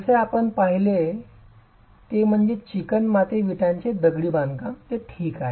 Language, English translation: Marathi, As I mentioned, what you saw earlier is clay brick masonry